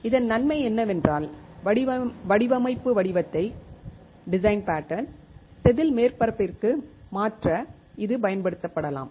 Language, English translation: Tamil, The advantage of this is that it can be used to transfer the design pattern to the wafer surface